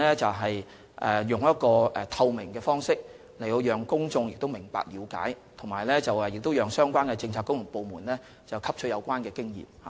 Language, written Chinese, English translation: Cantonese, 此外，我們的行事具透明度，讓公眾了解有關安排，亦讓相關的政策局和部門汲取有關經驗。, Moreover the whole process is highly transparent . It allows the public to understand the arrangements concerned and the relevant Policy Bureaux and departments can also learn from the experience